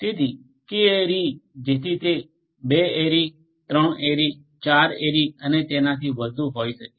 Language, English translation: Gujarati, So, you know K ary so it could be 2 ary, 3 ary, 4 ary and so on